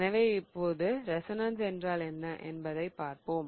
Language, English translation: Tamil, So, now let us look at what resonance is